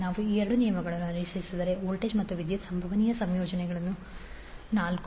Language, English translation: Kannada, So if we follow these two rules, the possible combinations for voltage and current are four